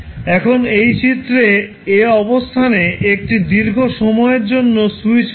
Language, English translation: Bengali, Now, in this figure position a is the position of the switch for a long time